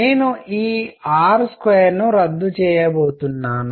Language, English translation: Telugu, I am going to cancel this r square